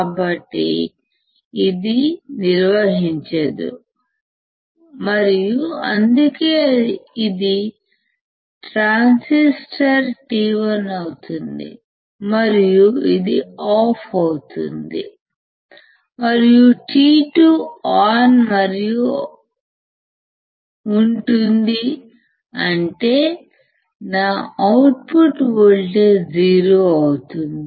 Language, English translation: Telugu, So, this will not conduct, and that is why this will be my transistor t 1 and it would be off, and t 2 would be on and; that means, that my output voltage will be nothing but 0